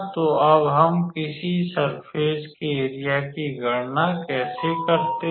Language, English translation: Hindi, So, now how can we calculate the surface area of a surface